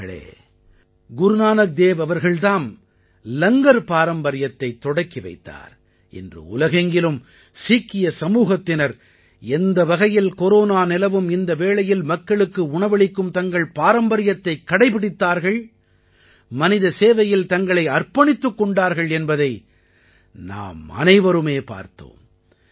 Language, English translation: Tamil, it was Guru Nanak Dev ji who started the tradition of Langar and we saw how the Sikh community all over the world continued the tradition of feeding people during this period of Corona , served humanity this tradition always keeps inspiring us